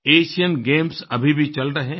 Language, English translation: Hindi, The Asian Games are going on